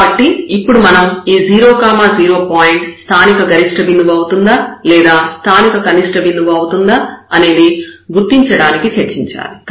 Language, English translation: Telugu, So, at this 0 0 point, we have to now discuss for the identification whether this is a point of local maximum or it is a point of local minimum